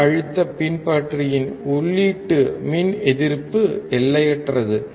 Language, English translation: Tamil, The input resistance of the voltage follower is infinite